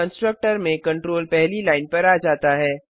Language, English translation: Hindi, The control comes to the first line in the constructor